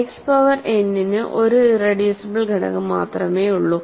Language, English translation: Malayalam, X power n has only one irreducible factor